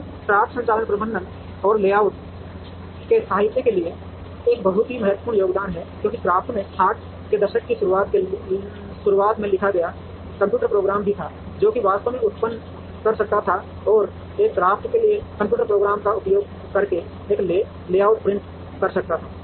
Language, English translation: Hindi, Now, CRAFT is a very significant contribution to the literature in operations management and layout because CRAFT also had a computer program written in the early 60's, which could actually generate and one could print a layout, using the computer program for the CRAFT